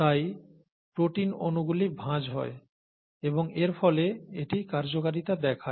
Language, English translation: Bengali, Therefore the protein molecule folds and the folding of the protein molecule is what results in its function